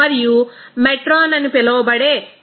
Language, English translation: Telugu, And metron that is called measure